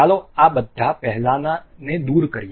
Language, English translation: Gujarati, Let us remove all these earlier ones